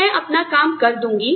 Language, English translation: Hindi, So, I will cut down on my work